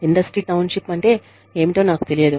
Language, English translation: Telugu, I do not know, what industry townships are